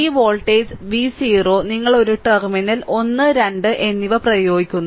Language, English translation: Malayalam, This voltage source; this voltage V 0 you apply a terminal 1 and 2